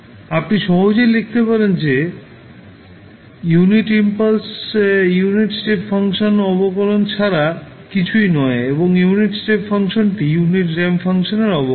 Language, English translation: Bengali, You can simply write that the delta t is nothing but derivative of unit step function and the unit step function is derivative of unit ramp function